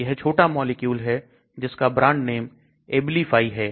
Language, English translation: Hindi, This is also a small molecule under the brand name Abilify